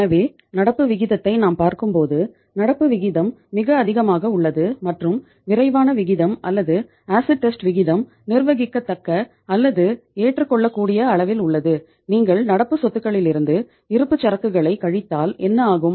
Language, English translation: Tamil, So it means when you are seeing this current ratio like say current ratio is very high and the quick ratio or the acid test ratio is at the manageable or at the acceptable level it means if you are subtracting inventory from the current assets then what happens